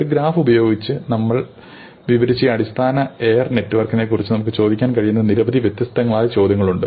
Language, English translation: Malayalam, So, there are very many different kinds of questions you can ask about this basic air network that we have described using a graph